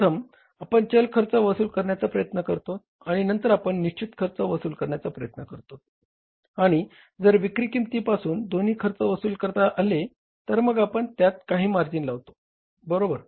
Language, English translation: Marathi, First we try to recover the variable cost and then we try to recover the fixed cost and if both are recoverable from the selling price then we add up some margin